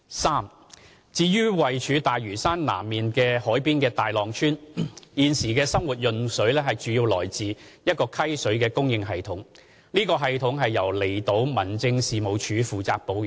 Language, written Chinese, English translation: Cantonese, 三至於位處大嶼山南面海邊的大浪村，現時的生活用水來自一個溪水的供應系統，此系統由離島民政事務處負責保養。, 3 The existing domestic water supply at Tai Long Village located at the southern coast of Lantau is through a stream water supply system maintained by the Islands District Office